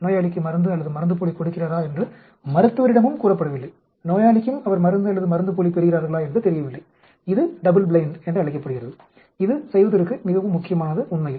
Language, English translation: Tamil, The doctor is also not told whether he is giving a drug or a placebo to the patient who also does not know whether he or she is receiving a drug or a placebo that is called a double blind that is very, very important to do actually